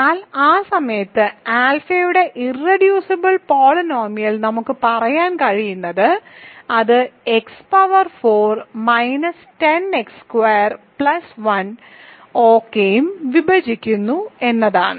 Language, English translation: Malayalam, But we know that the irreducible polynomial of alpha at this point all we can say is it divides x power 4 minus 10 x squared plus 1 ok